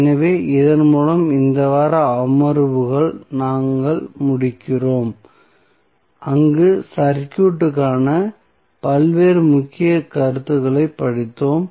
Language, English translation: Tamil, So, with this we close this week sessions where we studied various key concept of the circuit